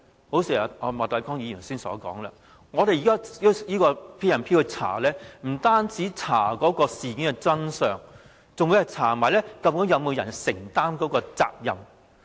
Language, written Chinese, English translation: Cantonese, 一如莫乃光議員所說，我們用《權力及特權條例》去調查，不單是調查事件的真相，還會調查究竟有沒有人承擔責任。, As Mr Charles Peter MOK has pointed out when conducting an inquiry under the Ordinance we not only seek to find out the truth of the incident but we also wish to ascertain whether anyone have to bear the responsibility